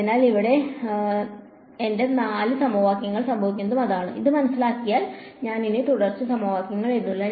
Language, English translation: Malayalam, So, that is what happens to my four equations over here, I am not writing the continuity equation anymore because its understood